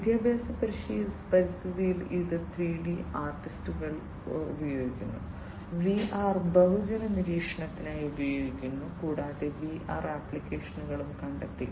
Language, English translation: Malayalam, In educational environments it is used by 3D artists, VR are used for mass surveillance also you know VR has found applications